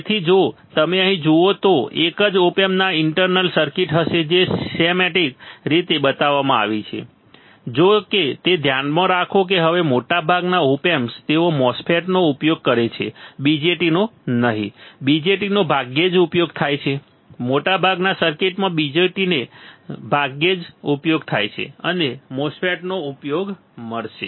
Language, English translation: Gujarati, So, if you see here if you see here a single op amp will have internal circuit which is shown in the schematic; however, mind it that now most of the now op amps they use MOSFET and not BJTs; BJTs are seldomly used; BJTs are seldomly used most of the circuit, you will find use of MOSFETs